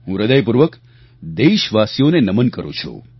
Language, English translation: Gujarati, I heartily bow to my countrymen